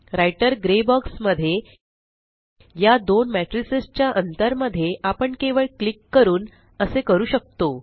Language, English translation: Marathi, To do this, we can simply click between the gap of these two matrices in the Writer Gray box